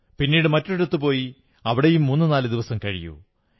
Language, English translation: Malayalam, Go to a destination and spend three to four days there